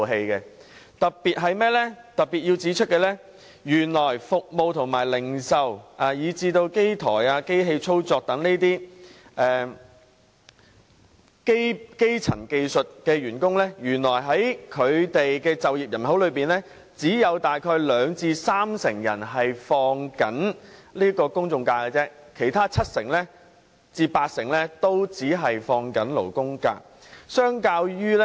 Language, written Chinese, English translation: Cantonese, 我特別想指出，原來服務業和零售業的從業員，以及機台及機器操作員等基層技術人員的就業人口當中，只有約兩至三成享有公眾假期，其餘七至八成只享有勞工假。, I would like to particularly point out that among employees being service and sales workers and employees engaged in elementary occupations such as plant and machine operators and assemblers only 20 % to 30 % are entitled to the general holidays while the remaining 70 % to 80 % are entitled to the labour holidays